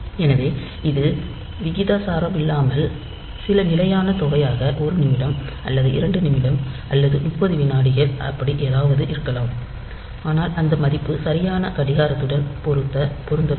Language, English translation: Tamil, So, it is not proportional, so some fixed amount so maybe 1 minute or 2 minute or 30 seconds something like that so, but that value should match with the exact clock